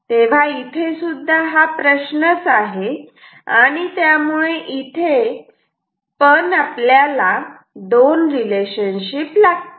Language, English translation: Marathi, So, it is once again that problem and so, we have two relationships we will have two relationship